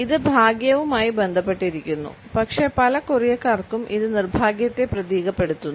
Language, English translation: Malayalam, It is associated with good luck, but for many Koreans it symbolizes just the opposite